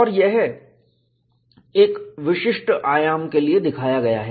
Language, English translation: Hindi, And, this is shown for a particular amplitude